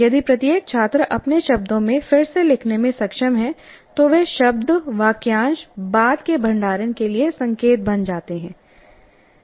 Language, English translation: Hindi, Each one is able to rewrite in their own words, those words or phrases will become cues for later storage